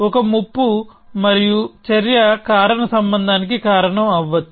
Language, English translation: Telugu, A threat and action threatens a causal link